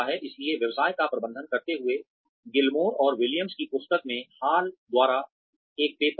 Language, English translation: Hindi, So, managing the business, there is a paper by Hall, in the book by Gilmore and Williams